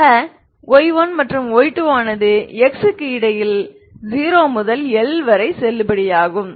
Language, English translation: Tamil, So y 1 and y 2 are valid between x between 0 to L